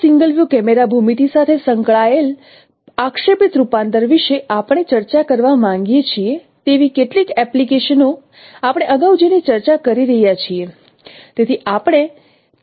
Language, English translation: Gujarati, Some of the applications that we would like to discuss of projective transformation associated with this single view camera geometry, what we are discussing earlier